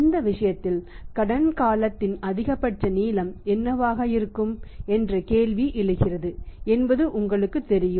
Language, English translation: Tamil, You know the question arises that in this case what should be the maximum length of the credit period